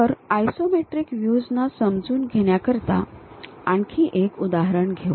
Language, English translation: Marathi, So, let us take one more example to understand these isometric views